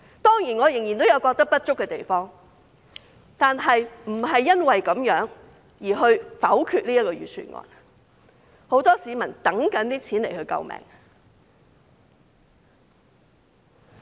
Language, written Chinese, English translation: Cantonese, 當然，我仍然覺得有不足的地方，但不會因此而否決這份預算案，因為很多市民等着這筆錢來救命。, Although I still find some shortcomings I will not vote against this Budget because many people are waiting for the money to meet their pressing needs